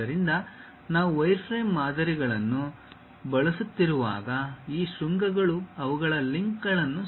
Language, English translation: Kannada, So, when we are using wireframe models, these vertices adjust their links